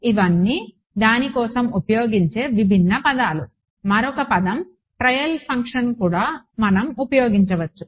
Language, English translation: Telugu, These are all the different words used for it another word is you will find trial function